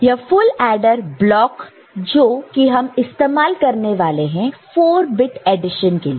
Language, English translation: Hindi, So, this is the full adder block and full adder block we are using to develop 4 bit addition ok